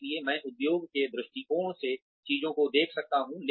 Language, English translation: Hindi, So, I can see things from the perspective of the industry